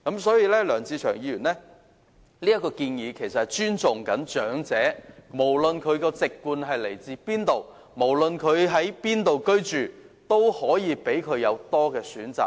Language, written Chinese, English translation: Cantonese, 所以，梁志祥議員的建議是從尊重長者的角度出發，無論其籍貫為何，在哪裏居住，均可有多一個選擇。, Mr LEUNG Che - cheungs proposal is actually put forward from the perspective of showing respect for elderly persons so that no matter what their native place is and where do they live they can be given one more choice